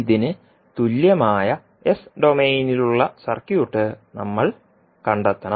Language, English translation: Malayalam, We have to find out the s minus domain equivalent of the circuit